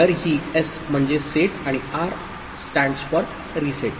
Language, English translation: Marathi, So, this S stands for set and a R stands reset